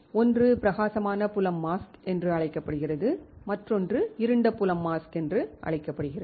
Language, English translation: Tamil, One is called bright field mask another one is called dark field mask right